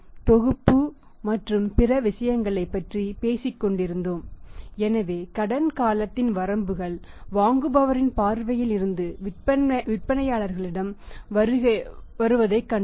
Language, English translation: Tamil, And we were talking about the set and other things so we have seen here that limitations of credit period we have seen that from the buyer's perspective also from the sellers prospective also